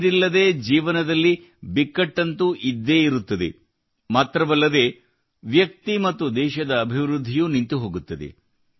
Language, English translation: Kannada, Without water life is always in a crisis… the development of the individual and the country also comes to a standstill